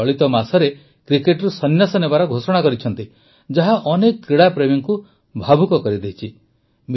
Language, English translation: Odia, Just this month, she has announced her retirement from cricket which has emotionally moved many sports lovers